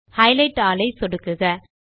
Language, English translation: Tamil, Click on Highlight all option